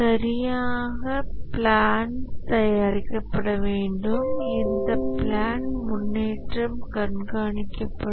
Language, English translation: Tamil, Proper plans should be made and progress against this plan should be monitored